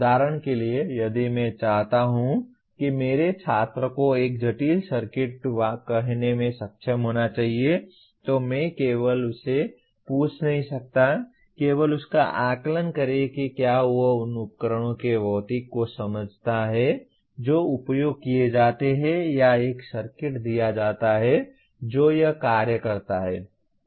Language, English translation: Hindi, For example if I want my student should be able to design let us say a complex circuit, I cannot merely ask him, assess him only in terms of does he understand the physics of the devices that are used or given a circuit what does it function